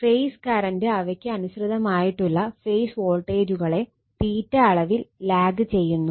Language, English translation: Malayalam, The phase current lag behind their corresponding phase voltage by theta